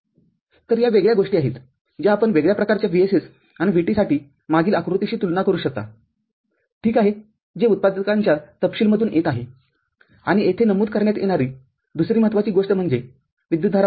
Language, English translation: Marathi, So, these are the different things if you can compare from the previous diagram for a different kind of VSS and VT – ok, so which is coming from the manufacturers a specification and the other important thing to be noted here are the current level